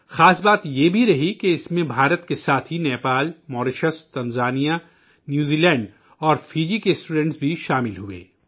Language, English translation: Urdu, The special element in that was along with India, students from Nepal, Mauritius, Tanzania, New Zealand and Fiji too participated in that activity